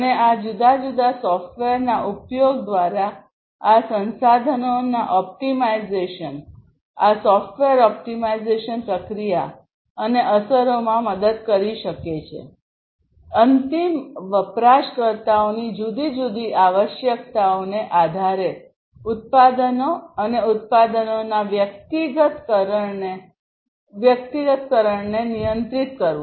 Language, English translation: Gujarati, And optimization of these resources through the use of these different software, this software can help in the optimization process and the effects; basically controlling the products and the personalization of the products based on the different requirements of the end users